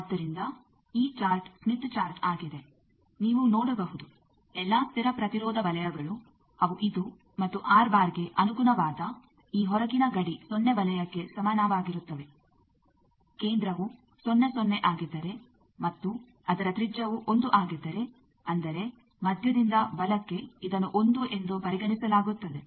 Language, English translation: Kannada, So, this chart is smith chart you see that all constant resistance circles they are this and this outer boundary that is corresponding to the R bar is equal to 0 circle, if center is at 0 0 and its radius is 1 that means, from the center to the right most point this is considered as 1